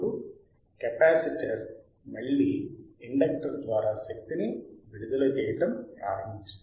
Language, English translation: Telugu, Now capacitor again starts discharging through the inductor see